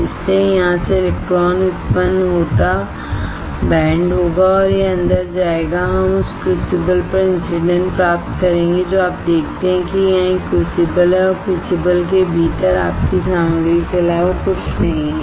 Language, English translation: Hindi, So, electron generates from here will band and it will in we get incident on the crucible you see there is a crucible here and within the crucible